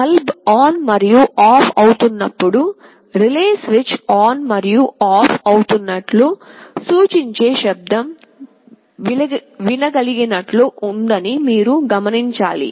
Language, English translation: Telugu, You must have noticed that when the bulb is switching ON and OFF, there is an audible sound indicating that the relay switch is turning on and off